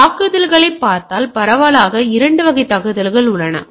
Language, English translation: Tamil, So, if we look at the attacks, so there are broadly 2 category of attack